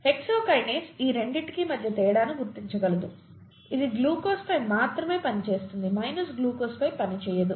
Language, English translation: Telugu, The hexokinase can distinguish between these two, it will act only on glucose it will not act on glucose